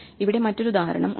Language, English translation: Malayalam, So here is another example